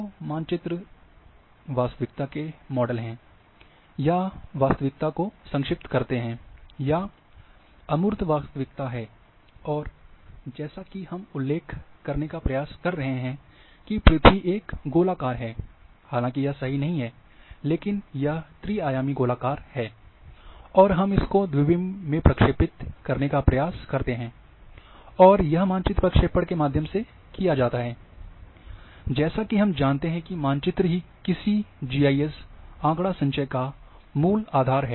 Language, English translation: Hindi, So, maps are models of reality, or reduce reality, abstract reality, and we try to as mentioned that earth which is a earth as a spheroid, though it is not perfect, but this is spheroid is the 3d body, we try to project this 3 d into 2 d, and when it is done, it has to be done through map projections and maps as we know that these are the basis of any GIS database